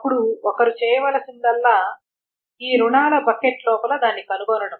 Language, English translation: Telugu, Then all one needs to do is to find it inside this bucket of the loans and not the other ones